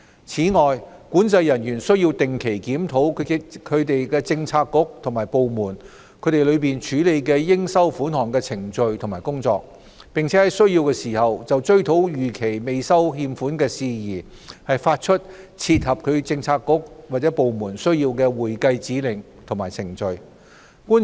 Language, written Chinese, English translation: Cantonese, 此外，管制人員須定期檢討其政策局/部門內處理應收款項的程序和工作，並在需要時就追討逾期未收欠款事宜，發出切合其政策局/部門需要的會計指令及程序。, In addition COs must regularly review the procedures and the activities within their purview which give rise to revenue due to the Government and where necessary issue departmental accounting instructions and procedures on the recovery of arrears of revenue as appropriate to meet the particular requirements and applications of their bureauxdepartments